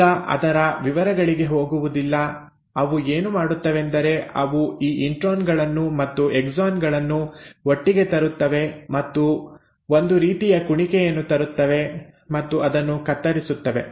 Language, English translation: Kannada, Now do not get into the details of it, what they do is they bring in these intros, the exons together and the kind of loop out and they cut it